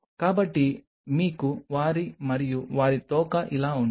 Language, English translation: Telugu, So, you have their and their tail like this